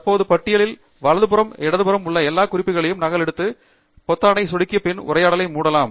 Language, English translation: Tamil, Select and copy all the references from the left hand side pane to the right hand side in the current list by clicking the Copy button, and then, you can close the dialogue